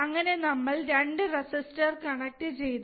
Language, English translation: Malayalam, We have connected 2 resistors, right